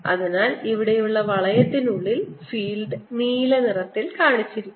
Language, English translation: Malayalam, so what i have is this ring in which there is a fields inside shown by blue